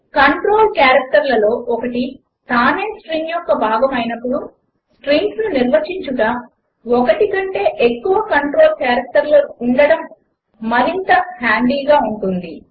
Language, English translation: Telugu, Having more than one control character to define strings is handy when one of the control characters itself is part of the string